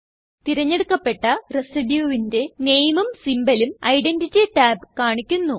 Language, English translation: Malayalam, Identity tab shows Symbol and Name of the selected residue